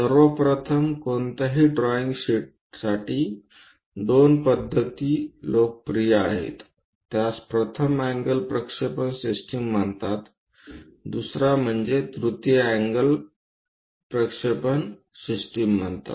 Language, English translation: Marathi, In general, for any drawing sheets two methods are popular, one is called first angle projection system, the second one is third angle projection system